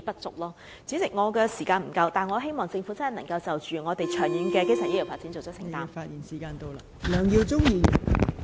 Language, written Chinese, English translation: Cantonese, 代理主席，我的發言時間不足，但我希望政府能切實就香港的長遠基層醫療服務發展訂定工作清單。, Deputy President my speaking time is running out but I hope that the Government would take concrete actions to draw up a work list for the long - term development of primary health care services in Hong Kong